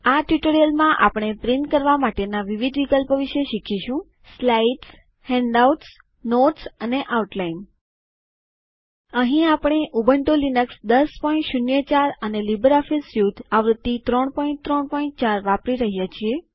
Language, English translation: Gujarati, In this tutorial we will learn about the various options for printing Slides Handouts Notes and Outline Here we are using Ubuntu Linux 10.04 and LibreOffice Suite version 3.3.4